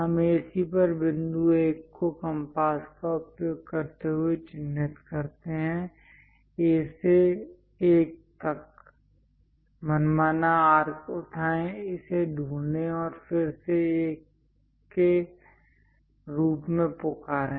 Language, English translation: Hindi, Now, use compass to mark point 1 on AC, from A to 1; pick arbitrary arc, locate it then call this one as 1